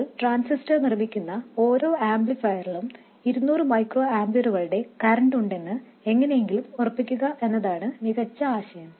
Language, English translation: Malayalam, What is a better idea is to somehow make sure that in every amplifier that you make the transistor carries a current of 200 microampers